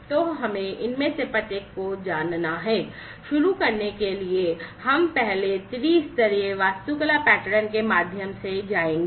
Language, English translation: Hindi, So, let us go through each of these, to start with we will first go through the three tier architecture pattern